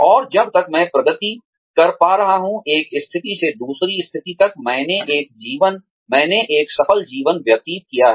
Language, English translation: Hindi, And, as long as, I am able to progress, from one position to the next, I have led a successful life